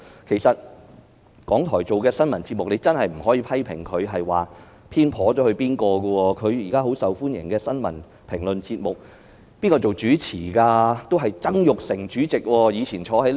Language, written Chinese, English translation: Cantonese, 其實，港台播放的新聞節目，真的不能批評它有所偏頗，現在十分受歡迎的新聞評論節目，是由誰擔任主持的呢？, In fact we really cannot criticize the news programmes broadcast by RTHK as being biased . Who is the host of a news commentary programme which is very popular these days?